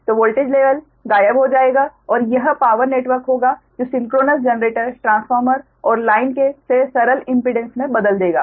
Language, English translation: Hindi, so voltage level will disappear and it will power network consisting of synchronous generators, transformers and line reduces to simple impedances